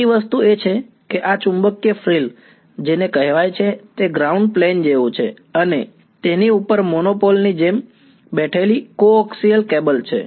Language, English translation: Gujarati, The second thing is what is called this magnetic frill which it is like a ground plane and a coaxial cable sitting on top of it like a monopole